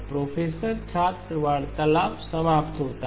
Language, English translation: Hindi, “Professor student conversation ends